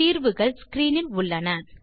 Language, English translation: Tamil, The solutions are on your screen